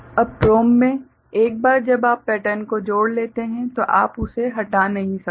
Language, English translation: Hindi, Now, in PROM once you ingrain the pattern you cannot remove it